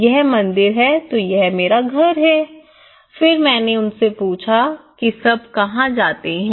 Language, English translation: Hindi, this is temple then this is my house then I asked them where are all used to go